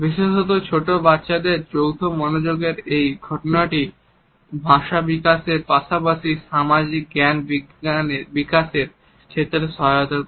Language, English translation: Bengali, This phenomenon of joint attention facilitates development of language as well as social cognition particularly in young children